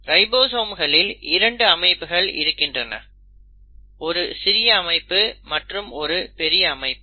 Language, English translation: Tamil, The ribosomes have 2 units; there is a small subunit and a large subunit